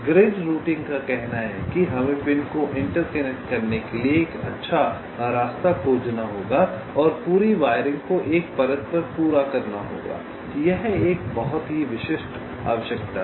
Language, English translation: Hindi, grid routing says that we have to find out a good path to interconnect the pins, and the entire wiring has to be completed on a single layer